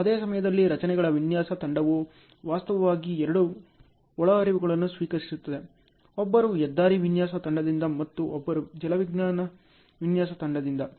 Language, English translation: Kannada, At the same time, structures design team is actually receiving two inputs; one from highway design team and one from hydrology design team